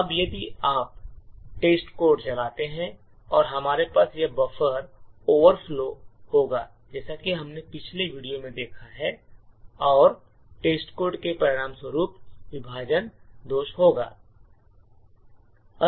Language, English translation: Hindi, Now if you run test code and we would have this buffer overflow as we have seen in the previous video and test code would segmentation fault and would have a fault